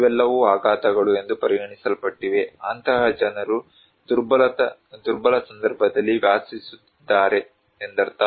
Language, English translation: Kannada, These are all considered to be shocks that are increasing that under which people are living in a vulnerable context